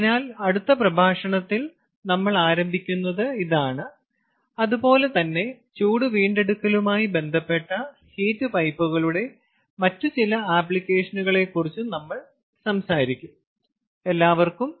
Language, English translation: Malayalam, ok, so this is what we will start with in the next lecture, ah, as well, as we are going to talk about a few other applications of heat pipes in terms of waste heat recovery